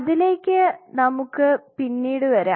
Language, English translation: Malayalam, So, we will come later into that